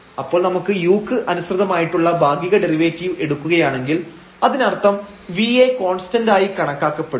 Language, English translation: Malayalam, So, if we take that partial derivative with respect to u; that means, treating v as constant so, this term will be treated as constant